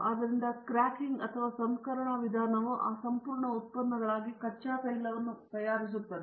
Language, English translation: Kannada, Therefore, the cracking or refining, refining means making the crude oil into those whole products